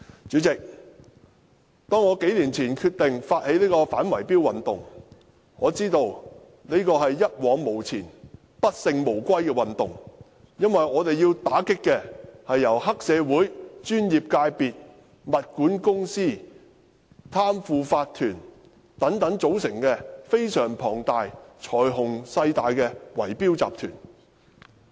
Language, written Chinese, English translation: Cantonese, 主席，我數年前決定發起這項反圍標運動時，我知道這是一往無前、不勝無歸的運動，因為我們要打擊的，是由黑社會、專業界別、物業管理公司、貪腐法團等組成的非常龐大及財雄勢大的圍標集團。, President when I decided to initiate this campaign to combat bid - rigging a few years ago I knew that I had to be successful as there would be no turning back . Because the target of our battle is massive bid - rigging syndicates with enormous financial power and influence comprising triads members of the professional services sector property management companies corrupt owners corporations and so on